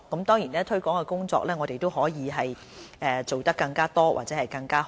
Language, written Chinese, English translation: Cantonese, 當然推廣工作我們可以做更加多或更加好。, Of course we can always do more promotions and do them better